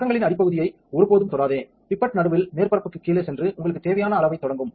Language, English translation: Tamil, Never touch the bottom nor the sides, the pipette goes in the middle just below the surface and you start up the amount that you need